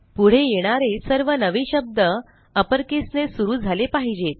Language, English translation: Marathi, And all new words followed should begin with an upper case